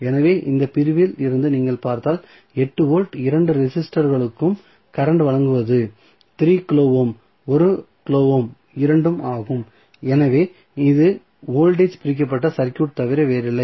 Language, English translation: Tamil, So, from this segment, if you see this segment the 8 volt is supplying current to both of the registrants is that is 3 kilo ohm, 1 kilo ohm, both, so, this is nothing but voltage divided circuit